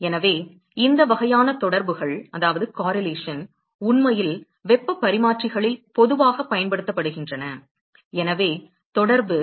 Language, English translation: Tamil, So, these kind of correlation are actually very commonly used in the heat exchangers at the; so, the correlation